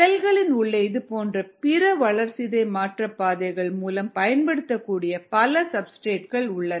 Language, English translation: Tamil, there are many other substrates that can get utilized through other such metabolic pathways in the cell